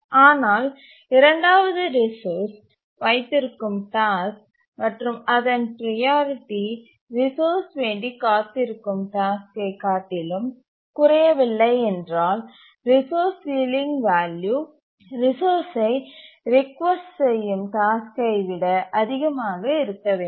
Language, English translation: Tamil, But then the task holding the second resource, it priority does not drop below the task waiting for the resource, because the resource ceiling value must be greater than the task that is requesting the resource